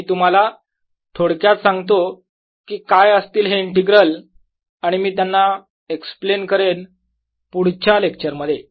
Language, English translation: Marathi, let me quickly tell you what these integrals will be and i'll explain them in the next lecture